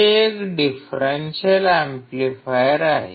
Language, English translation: Marathi, This is a differential amplifier